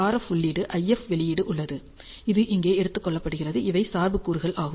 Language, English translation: Tamil, So, we have an RF input, we have IF output which is taken over here and these are the biasing components